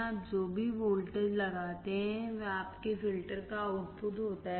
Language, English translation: Hindi, Whatever voltage you apply, it is the output of your filter